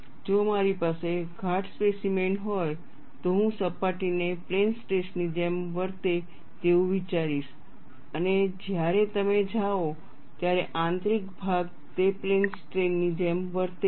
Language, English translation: Gujarati, If I have a thick specimen, I will consider the surface to behave like a plane stress and interior when you go, it behaves like a plane strain